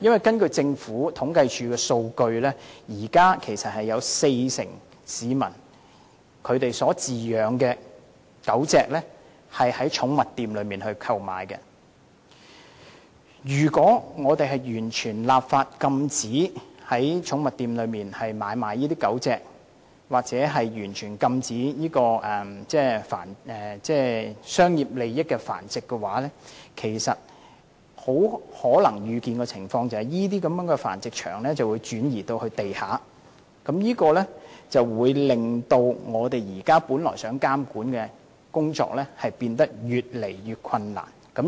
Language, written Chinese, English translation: Cantonese, 根據政府統計處的數據，現時有四成市民飼養的狗隻是從寵物店購買，如果我們完全立法禁止在寵物店買賣狗隻或完全禁止涉及商業利益的繁殖，很可能預見的情況是，這些繁殖場便會轉移至地下經營，令現時本來想進行的監管工作變得越來越困難。, According to data from the Census and Statistics Department 40 % of dogs kept by members of the public are bought from pet shops . If we enact legislation to impose a total ban on trading of dogs in pet shops or on dog breeding for commercial interests the likely foreseeable result is that all breeding facilities will operate underground making it increasingly difficult to monitor the situation